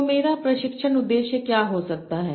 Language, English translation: Hindi, So what can be my training objective